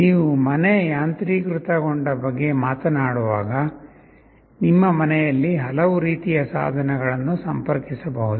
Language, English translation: Kannada, When you talk about home automation, in your home there can be so many kind of devices connected